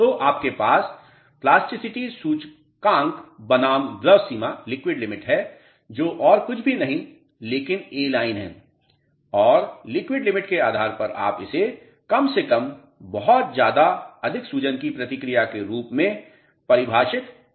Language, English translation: Hindi, So, you have plasticity index versus liquid limit nothing but A line and based on the liquid limit you can define it as low to extremely high response of swelling